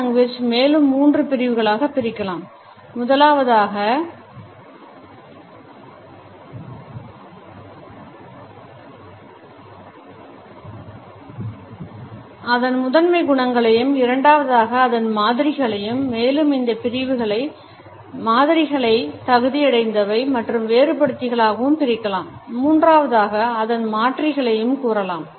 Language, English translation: Tamil, Paralanguage can be further divided into three categories as of primary qualities, secondly, modifiers which can be further subdivided into qualifiers and differentiators and thirdly, the alternates